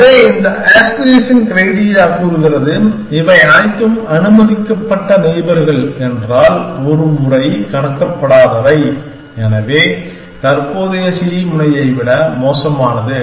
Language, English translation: Tamil, So, this aspiration criteria says that, if all this allowed neighbors, the once which are not crossed out are worse than my current node c